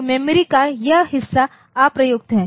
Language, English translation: Hindi, So, this part of the memory is unused